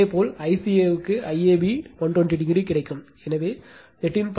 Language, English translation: Tamil, Similarly I CA you will get I AB 120 degree, so you will get 13